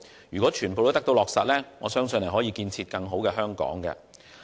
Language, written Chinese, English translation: Cantonese, 如果全部皆得以落實，我相信將可建設更美好的香港。, If all the initiatives can be implemented I believe we will be able to build an even better Hong Kong